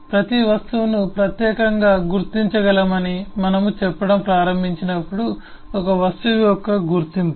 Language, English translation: Telugu, the identity of an object is, as we started saying, every object must be distinguishable